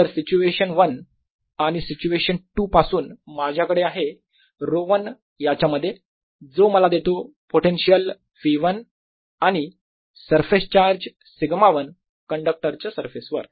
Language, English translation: Marathi, so, from situation one to situation two, i have rho one in this, which gives me potential v one, and surface charge sigma one on the surface of the conductor